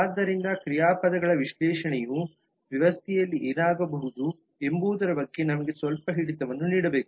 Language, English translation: Kannada, so the analysis of verbs should give us a quite a bit of good hold over what can happen in the system